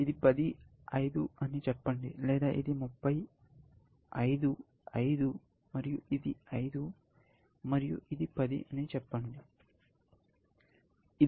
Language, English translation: Telugu, Let us say, this is 10, 5 or let us say, this is 30, 5, 5, and this is 5, and this is 10